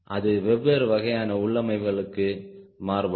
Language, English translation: Tamil, they vary for different type of configurations